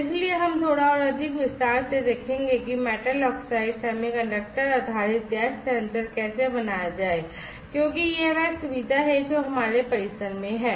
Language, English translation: Hindi, So, we will look at in little bit more detail about how to fabricate a metal oxide semiconductor based gas sensor because that is the facility that, we have in our campus